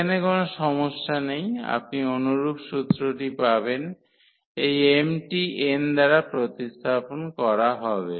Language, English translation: Bengali, So, there is absolutely no issues, you will get the similar formula, this m will be replaced by n